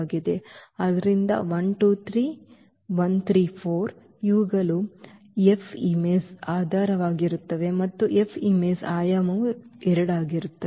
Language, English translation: Kannada, So, 1 2 3 and 1 3 4 these will form the basis of the image F and the dimension of the image F is 2